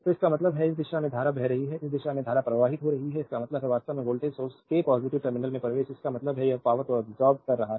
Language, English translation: Hindi, So; that means, the current is flowing in this direction current is flowing in this direction; that means, the current actually entering into the positive terminal of the voltage source; that means, it is absorbing power